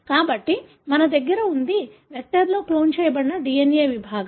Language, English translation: Telugu, So, what we have is, is the DNA segment that is cloned in the vector